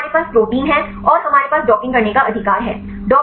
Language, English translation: Hindi, So, now we have the protein and we have ligands right how to do the docking